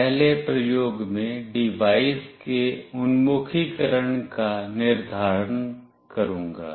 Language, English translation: Hindi, In the first experiment will determine the orientation of the device